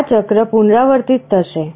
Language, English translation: Gujarati, This cycle will repeat